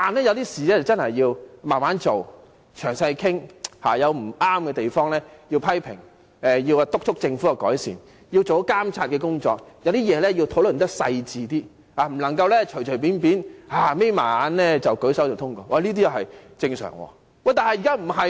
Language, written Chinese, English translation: Cantonese, 有些事情真的要慢慢做，詳細討論，有不對的地方要批評，督促政府作出改善，做好監察的工作，對某些事情要討論得細緻一點，不能隨便閉上眼睛便舉手通過，這是正常的。, There are things that really should be done slowly and discussed in detail . When something is wrong criticisms are warranted to urge the Government to make improvement in order for monitoring to be exercised effectively . It is necessary to discuss certain issues in greater detail instead of simply closing our eyes and putting up our hands to endorse them and this is normal